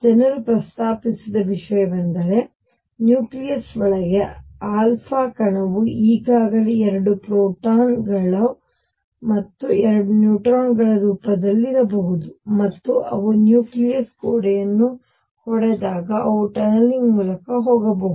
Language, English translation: Kannada, What people proposed is that inside the nucleus the alpha particle maybe already in the form of 2 protons 2 neutrons, and when they hit the wall of the nucleus then they can tunnel through